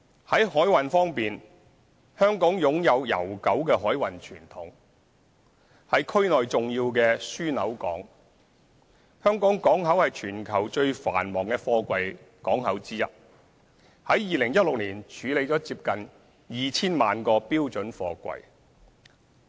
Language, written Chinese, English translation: Cantonese, 在海運方面，香港擁有悠久的海運傳統，是區內重要的樞紐港；香港港口是全球最繁忙的貨櫃港口之一 ，2016 年處理了接近 2,000 萬個標準貨櫃。, Concerning maritime transport Hong Kong has a long maritime tradition and is an important hub port in the region . The Hong Kong port is one of the busiest container ports in the world and it handled close to 20 million twenty - foot equivalent units in 2016